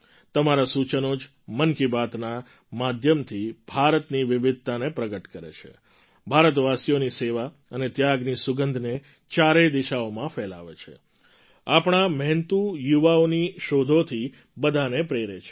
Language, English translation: Gujarati, It is your suggestions, through 'Mann Ki Baat', that express the diversity of India, spread the fragrance of service and sacrifice of Indians in all the four directions, inspire one and all through the innovation of our toiling youth